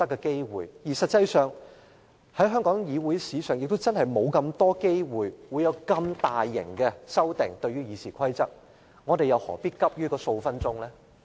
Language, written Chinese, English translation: Cantonese, 事實上，在香港議會史上罕有對《議事規則》作出如此大規模的修訂，我們又何必急於數分鐘？, In fact rarely has RoP been amended on such a large scale in the history of Hong Kongs legislature . So why do we have to rush to save a few minutes?